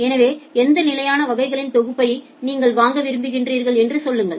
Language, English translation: Tamil, So, tell me that in which fixed set of classes you want to purchase